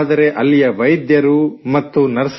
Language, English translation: Kannada, But the doctors and nurses there…